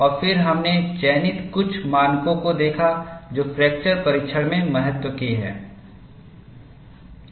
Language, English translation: Hindi, And then we saw selected few standards that are of importance in fracture testing